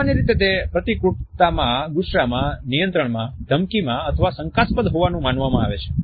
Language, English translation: Gujarati, Normally it is perceived to be hostile or angry or controlling or threatening or even doubting